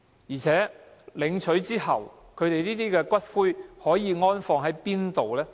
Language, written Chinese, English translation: Cantonese, 而且，領取骨灰後，可以安放在哪裏呢？, In addition where can the ashes be stored after they are claimed?